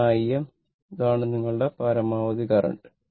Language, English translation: Malayalam, This is the maximum value of the current